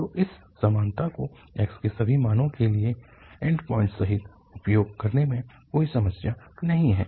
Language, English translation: Hindi, So there is no problem to use this equality for all values of x including the end points